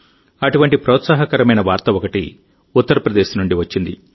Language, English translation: Telugu, One such encouraging news has come in from U